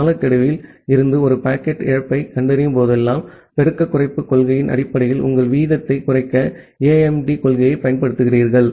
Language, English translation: Tamil, And whenever you are detecting a packet loss from a timeout, then you apply AIMD principle to reduce your rate based on the multiplicative decrease principle